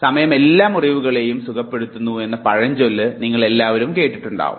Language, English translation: Malayalam, You must have heard the proverb time that time heals all wounds